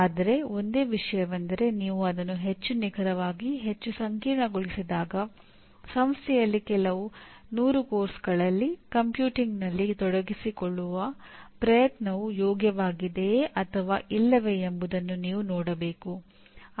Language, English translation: Kannada, But the only thing is when you make it more precise, more complicated you should see whether the, it is the effort involved in computing across few hundred courses in an institution is it worth it or not